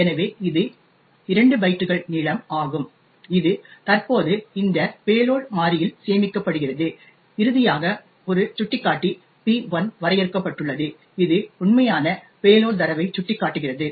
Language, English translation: Tamil, So, this is the 2 bytes length which gets stored in this payload variable present here and finally there is a pointer P1 defined which points to the actual payload data